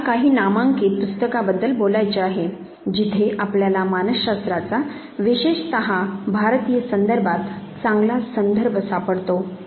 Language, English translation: Marathi, Let me talk about some of the prominent books were you can find very good reference to psychology especially in the Indian context